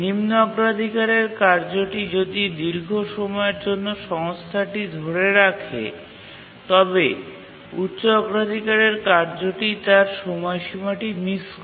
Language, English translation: Bengali, And if the low priority task holds the resource for a long time, the high priority task is of course going to miss its deadline